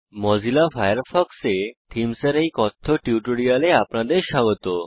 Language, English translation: Bengali, Welcome to this spoken tutorial on Themes in Mozilla Firefox